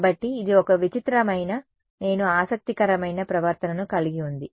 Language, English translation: Telugu, So, it has a strange I mean interesting behavior